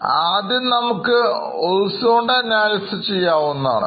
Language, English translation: Malayalam, This is known as horizontal analysis